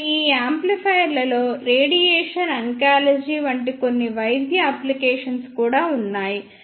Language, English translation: Telugu, And these amplifier also have some medical applications such as in radiation oncology